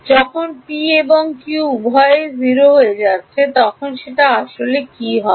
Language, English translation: Bengali, when both p and q are 0 what is it physically